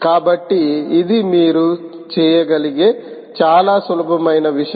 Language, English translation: Telugu, this is a very important step that you can do